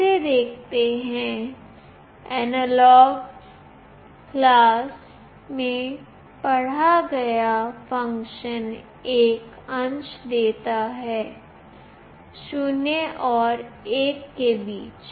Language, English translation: Hindi, Let us see this, the read function in the AnalogIn class returns a fraction between 0 and 1